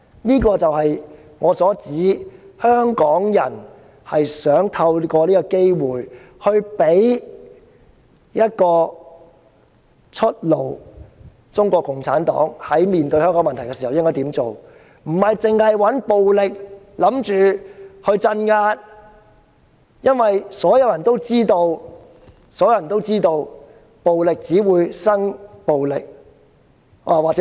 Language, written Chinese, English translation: Cantonese, 這就是我所指的，香港人想透過這個機會給予中共一條出路，探討面對香港的問題時應該怎樣做，而不是單單想到用暴力鎮壓，因為所有人都知道暴力只會產生暴力。, This is exactly what I am referring to and that is the people of Hong Kong want to give CPC a way out via this opportunity to explore how the problems of Hong Kong can be resolved and violence is not the only means available . We all know that violence will only generate violence